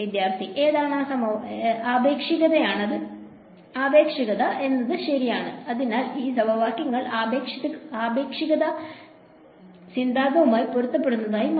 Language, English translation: Malayalam, Relativity right; so, what these equations they turned out to be consistent with the theory of relativity as well